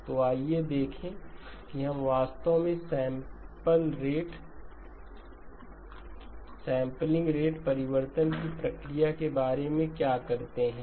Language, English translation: Hindi, So let us see how do actually we go about the process of sampling rate change